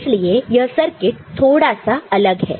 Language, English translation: Hindi, That is the why the circuit is different